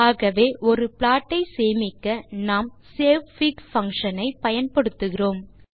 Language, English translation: Tamil, So saving the plot, we will use savefig() function